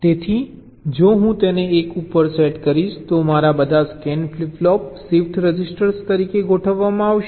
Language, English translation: Gujarati, so if i set it to one, then all my scan flip flops will be configured as a shift register